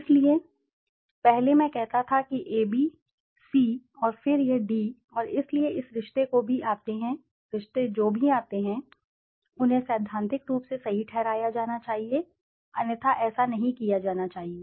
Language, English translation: Hindi, So earlier I used to say that A >B >C and then it >D and so this relationships whatever comes, they have to be theoretically rightly justified okay, otherwise it should be not be done